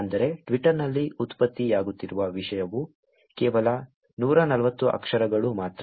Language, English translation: Kannada, That means the content that is getting generated on Twitter is only 140 characters